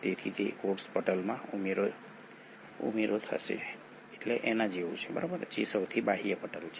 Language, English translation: Gujarati, So it is like an addition to the cell membrane which is the outermost membrane